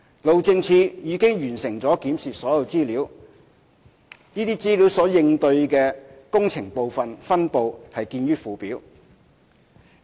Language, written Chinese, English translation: Cantonese, 路政署已完成檢視所有資料，其應對的工程部分分布見附件。, HyD has reviewed all the information and the distribution of the corresponding locations is at Annex